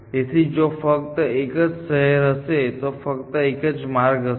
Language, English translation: Gujarati, So, if you if there only one city, there is only one path